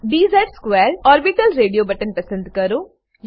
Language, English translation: Gujarati, Select dz^2 orbital radio button